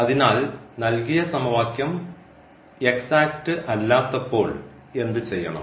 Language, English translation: Malayalam, So, now what to be done when the given equation is not accept